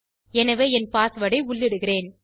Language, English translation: Tamil, So let me enter my password